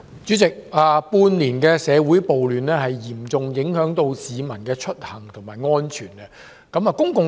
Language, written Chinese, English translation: Cantonese, 主席，長達半年的社會暴亂，嚴重影響到市民的出行和安全。, President the half year - long social riots have immensely affected the travel and safety of the people